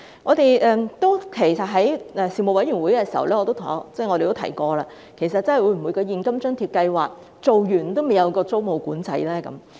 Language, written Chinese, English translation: Cantonese, 事實上，我們在事務委員會會議上曾提到，會否在現金津貼計劃結束後，仍未推出租務管制呢？, In fact we have asked at the Panel meeting whether tenancy control will still not be in place after the end of the cash allowance scheme